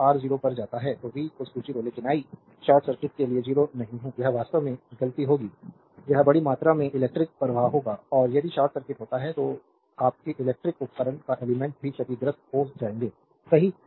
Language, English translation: Hindi, So, R tends to 0 so, v is equal to 0, but i is not 0 for short circuit it will be fault actually, it will carry huge amount of current and if short circuit happens your are electrical devices or elements will be damaged also, right